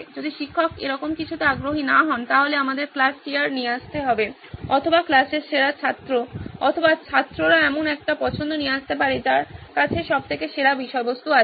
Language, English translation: Bengali, If teacher is not interested in something like this, then we will have to come up with the class CR or the best student in the class or students can come up with a choice who has the best content of the all